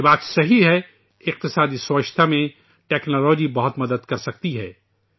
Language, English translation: Urdu, It is true that technology can help a lot in economic cleanliness